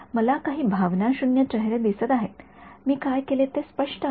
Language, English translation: Marathi, I see a few blank faces, is it clear what I did